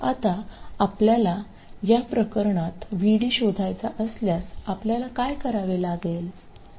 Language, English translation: Marathi, Now if you wanted to find VD in this particular case, what will you have to do